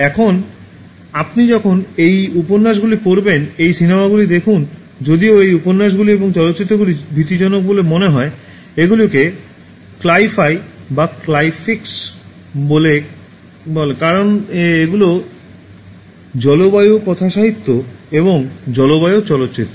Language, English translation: Bengali, Now when you read these novels, watch these movies, although these novels and movies appear to be scary, they are called as Cli fi and Cli flicks the climate fiction and climate films